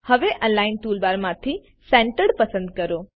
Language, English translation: Gujarati, Now, from the Align toolbar, let us select Centered